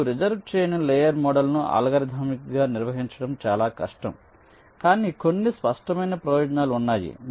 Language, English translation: Telugu, now see unreserved layer model, maybe little difficult to handle algorithmically but has some obvious advantages